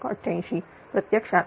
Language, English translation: Marathi, 88 that actually 423